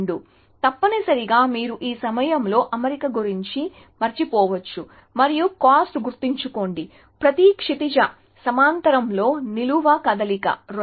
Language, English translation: Telugu, So, essentially you can actually forget about alignment at this point and remember that the cost of every horizontal, a vertical move is 2